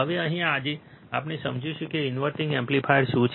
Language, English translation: Gujarati, Now, here today we will be understanding what exactly an inverting amplifier is